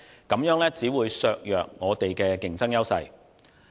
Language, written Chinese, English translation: Cantonese, 這樣只會削弱我們的競爭優勢。, This will only undermine our competitive edge